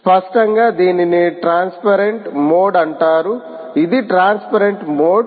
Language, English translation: Telugu, clearly, this is called transparent mode